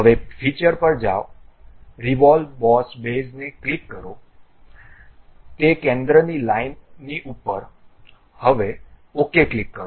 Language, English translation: Gujarati, Now, go to features, click revolve boss base, above that centre line, now click ok